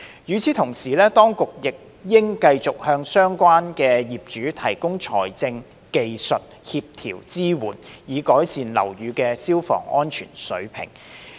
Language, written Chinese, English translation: Cantonese, 與此同時，當局亦應繼續向相關業主提供財政、技術和協調支援，以改善樓宇的消防安全水平。, Meanwhile the Administration should continue to provide financial technical and coordination support to building owners concerned for improving fire safety standards of buildings